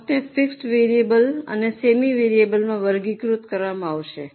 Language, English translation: Gujarati, The cost will be classified into fixed variable and semi variable